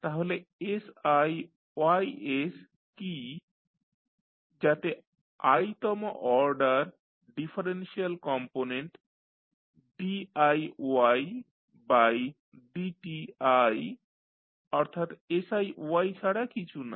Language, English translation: Bengali, So, what is siYs so the ith order of the differential component that is diY by dti is nothing but siY